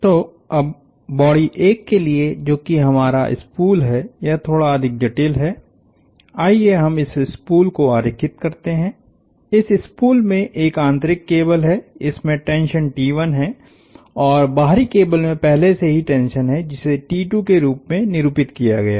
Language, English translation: Hindi, So, now, for body 1, which is our spool slightly more complicated, let us draw this spool, this spool has an inner cable, this has a tension T 1 and the tension in the cable is already in the outer cable is already been designated as T 2